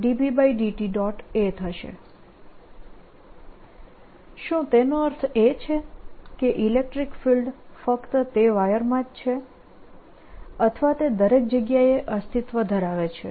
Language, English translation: Gujarati, does it mean that electric field is only in that wire or does it exist everywhere